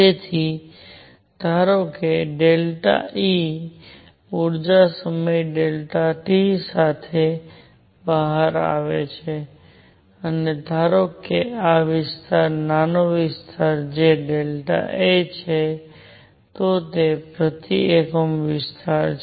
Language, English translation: Gujarati, So, suppose delta E energy comes out in time delta t and suppose this area is small area is delta A then per unit area